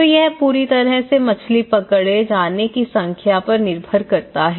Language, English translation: Hindi, So, it depends completely on the kind of fish catch they get